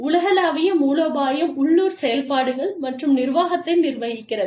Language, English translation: Tamil, Global strategy governs, local operations and management